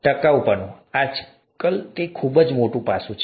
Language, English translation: Gujarati, Sustainability, it's a very big aspect nowadays